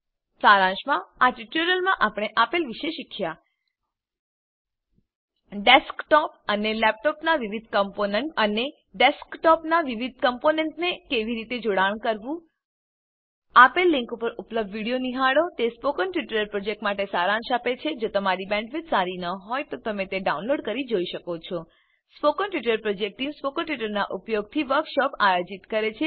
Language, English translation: Gujarati, In this tutorial we have learnt about the various components of a desktop and laptop and how to connect the various components of a desktop Watch the video available at the following link It summaries the Spoken Tutorial project If you do not have a good bandwidth you can download and watch it The Spoken Tutorial project team conducts workshops using spoken tutorials